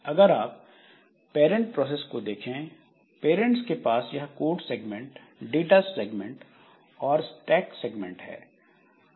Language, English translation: Hindi, So, like the parent process, so it has, it had its code data and stack segments